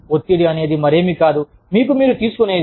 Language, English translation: Telugu, Stress is nothing but, what you take on yourself